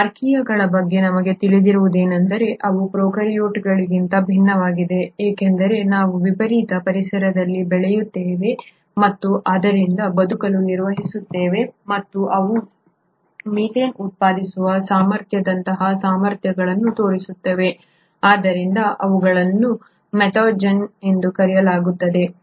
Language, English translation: Kannada, What we know about these Archaea is that they are different from prokaryotes because they grow in extreme environments and hence have managed to survive and they show abilities like ability to produce methane, hence they are called as methanogens